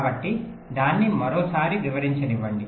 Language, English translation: Telugu, so let me just explain it once more